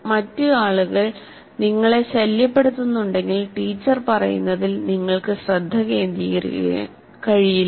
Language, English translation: Malayalam, If the other people are disturbing you, obviously you cannot focus on what the teacher is saying